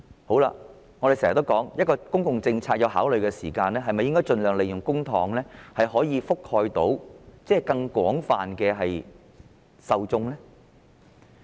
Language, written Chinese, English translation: Cantonese, 我們經常說道，當政府考慮一項公共政策時，應該盡量利用公帑覆蓋更多受眾。, We often say that when the Government conceives a public policy it should make the most of public money to cover more recipients